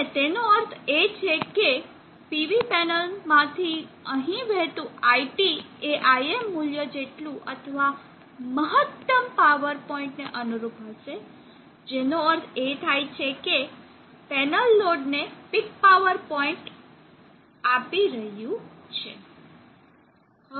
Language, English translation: Gujarati, And that means that IT that is flowing here from the PV panel will correspond to IM value or the current corresponding to the peak power point meaning that implying that the panel is delivering peak power point to the load